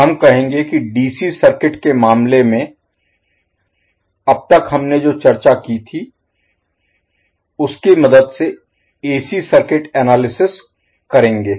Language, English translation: Hindi, So we will say that the AC circuit analysis with the help of what we discussed till now in case of DC source